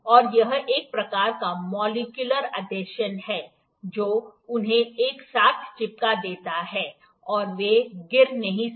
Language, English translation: Hindi, And this is the kind of a molecular adhesion that makes them stick together, you know this is not falling